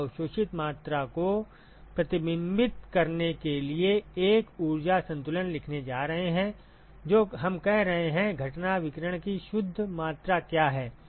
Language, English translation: Hindi, We are going to write an energy balance to reflect the amount that is absorbed all we are saying is, what is the net amount of incident irradiation